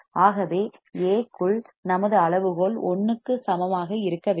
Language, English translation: Tamil, So, what is our criterion A into beta should be equal to 1